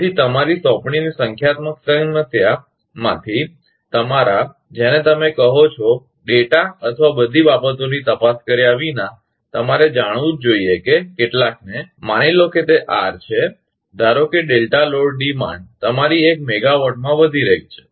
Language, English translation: Gujarati, So, from your assignment 'numerical problem'; without looking into your, what you call without looking into data or everything, you must know that suppose some; suppose it is R, suppose delta load demand has increase to your one megawatt